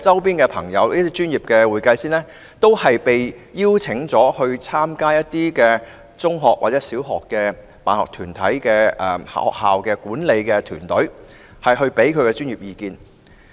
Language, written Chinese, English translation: Cantonese, 第二，我有很多專業會計師朋友都獲邀參加一些中學或小學的管理團隊，提供專業意見。, Second many friends of mine who are chartered accountants have been invited to join management teams of secondary or primary schools to provide professional advice